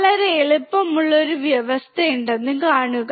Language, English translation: Malayalam, See there is a very easy provision